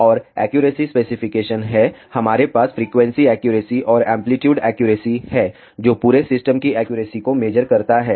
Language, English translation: Hindi, And, there are accuracy specifications we have frequency accuracy and amplitude accuracy, which measure the accuracy of the entire system